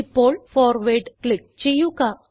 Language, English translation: Malayalam, Now click on Forward